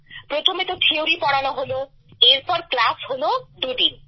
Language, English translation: Bengali, First the theory was taught and then the class went on for two days